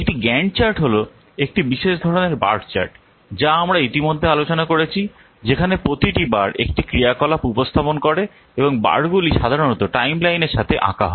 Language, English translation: Bengali, A GAN chart is a special type of bar chart that we have already discussed where each bar represents an activity and the bars normally they are drawn along a timeline